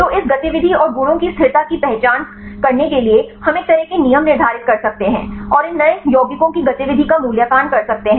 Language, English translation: Hindi, So, to identify the consistency of this activity and the properties we can set a kind of rules and evaluate the activity of these new compounds